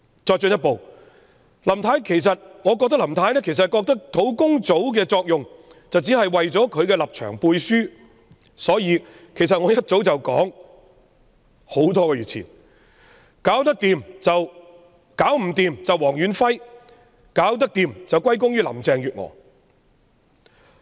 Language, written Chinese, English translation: Cantonese, 我進一步認為，林太覺得專責小組的作用只是為她的立場"背書"，所以我多個月前已說解決不了便諉過於黃遠輝，解決得到則歸功於林鄭月娥。, It is my further view that Mrs LAM thinks the Task Force serves only to endorse her position . That was why I already foretold months ago that the buck would be passed to Stanley WONG for failure while the credit would go to Mrs Carrie LAM for success